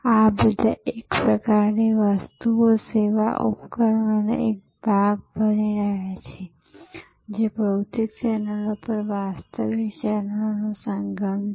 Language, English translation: Gujarati, All these are kind of becoming a part of a product service system, a confluence of physical channels and virtual channels